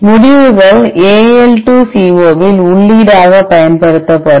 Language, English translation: Tamil, The results will be used as an input to see AL2CO